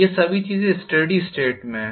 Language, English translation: Hindi, All these things are in steady state